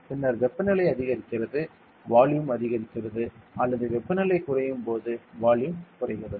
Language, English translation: Tamil, Then temperature increases volume increases or temperature decreases volume decreases